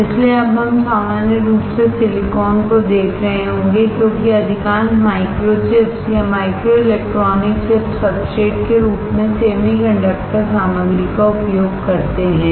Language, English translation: Hindi, So, now we will be looking at silicon in general because most of the micro chips or microelectronic chips uses semi conductor material as a substrate